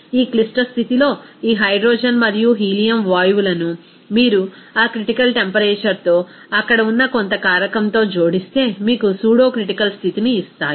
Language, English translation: Telugu, It is seen that at this critical condition, this hydrogen and helium gases will give you the pseudocritical condition if you add it to some factor there with that critical temperature